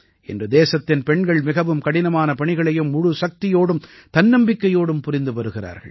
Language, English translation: Tamil, Today the daughters of the country are performing even the toughest duties with full force and zeal